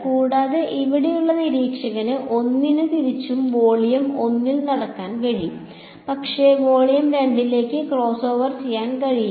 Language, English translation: Malayalam, And observer 1 over here vice versa can walk in volume 1, but cannot crossover into volume 2